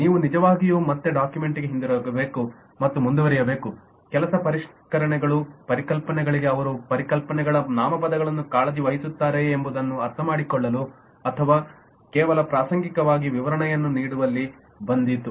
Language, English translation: Kannada, so you really have to go back to the document again and proceed further work on the refinements to understand whether they care concepts, nouns for concepts, or they are just incidentally came in providing the description